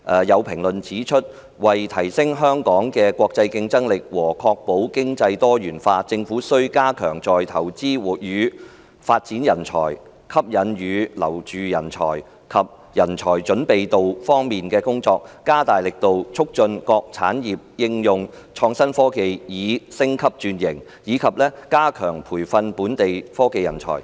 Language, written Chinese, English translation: Cantonese, 有評論指出，為提升香港的國際競爭力和確保經濟多元化，政府需加強在"投資與發展人才"、"吸引與留住人才"及"人才準備度"方面的工作，加大力度促進各產業應用創新科技以升級轉型，以及加強培訓本地科技人才。, There are comments that in order to enhance Hong Kongs international competitiveness and to ensure the diversification of its economy the Government needs to strengthen its work in the areas of talents investment and development appeal to and retention of talents and readiness for talents step up its efforts to promote the upgrading and transformation of various industries through application of innovation and technology and enhance the training of local technology talents